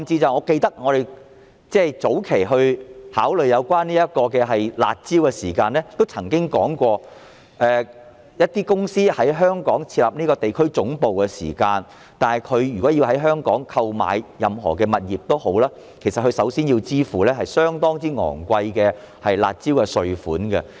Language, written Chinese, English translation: Cantonese, 我記得，我們早期考慮樓市"辣招"時，曾經提及一些公司如想在香港設立地區總部，在香港購買物業時須支付相當高昂的"辣招"稅。, I remember that when we were considering the curb measures on property prices back then we mentioned that if some companies wanted to set up their regional headquarters in Hong Kong and bought properties here they had to pay very high stamp duties as a result of the curb measures